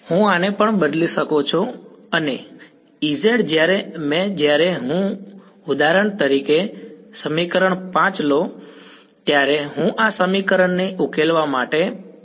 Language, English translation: Gujarati, I can as well replace this as H tan and E z how many when I when I solved the when I for example, take equation 5 what will be the first approach that I will do to solve this equation